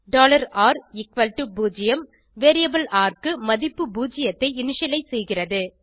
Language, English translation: Tamil, $r=0 initializes the value of variable r to zero